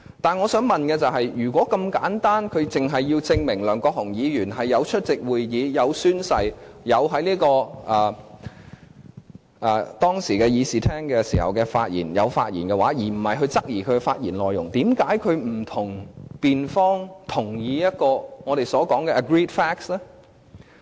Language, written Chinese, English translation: Cantonese, 但是，我想問的是，如果是這樣簡單，律政司只要證明梁國雄議員有出席會議、有宣誓，當時亦有在議事廳發言，而不是質疑其發言內容，為何律政司不與辯方同意一個我們所說的 "agreed facts" 呢？, However my question is if it is as simple as that if DoJ only has to prove that Mr LEUNG Kwok - hung has attended the meeting has taken the oath and has spoken in the Chamber instead of questioning the content of his speech why does DoJ not prepare a statement of agreed facts with the defending party?